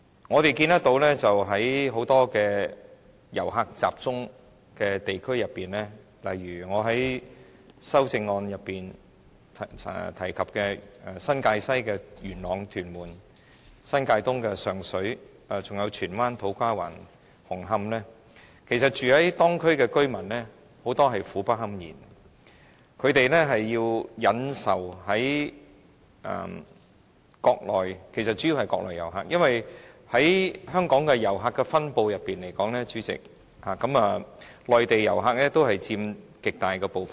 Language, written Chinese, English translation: Cantonese, 我們看到在某些遊客集中的地區，例如我在修正案內提及新界西的元朗、屯門，新界東的上水，還有荃灣、土瓜灣、紅磡等地區，很多當區居民也苦不堪言，他們須忍受的其實主要是國內遊客，因為以香港的遊客分布來說，代理主席，內地遊客佔了極大部分。, We have seen that in districts which see the concentration of certain types of tourists such as Yuen Long and Tuen Mun in New Territories West Sheung Shui in New Territories East and also Tsuen Wan To Kwa Wan Hung Hom etc many local residents are suffering badly . What they have to put up with is actually visitors mainly from the Mainland because according to the distribution of tourists in Hong Kong Deputy President visitors from the Mainland account for an extremely large share